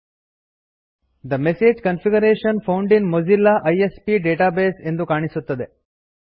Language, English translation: Kannada, The message Configuration found in Mozilla ISP database appears